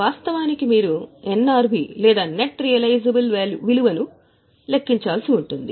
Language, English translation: Telugu, Actually you will have to calculate NRV or net realizable value